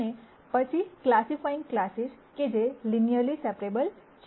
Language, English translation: Gujarati, And then classifying classes that are linearly separable